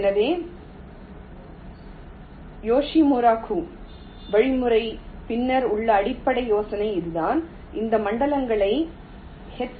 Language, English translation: Tamil, so this is the basic idea behind the yoshimura kuh algorithm that analyze this zones